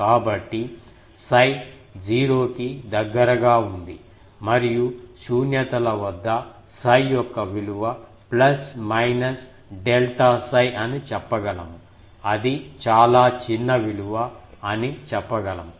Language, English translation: Telugu, So, we can say that psi is near 0 and what is the value we can say that the null at nulls, the value of psi is plus minus delta psi whether it is very small value